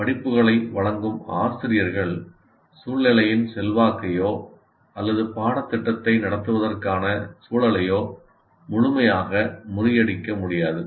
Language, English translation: Tamil, So the teachers who offer courses cannot completely overcome the influence of the situation or the context to conduct the course